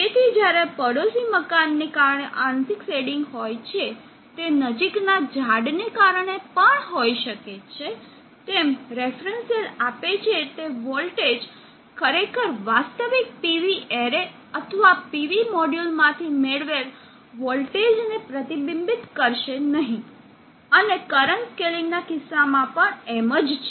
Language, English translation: Gujarati, So in cases when there is partial shading due to neighboring building, the shading due to trees nearby, the voltage that the reference cell gives will not actually reflect the voltage that is suppose to have been obtained from the actual PV array of the PV module, same with the case of current scaling also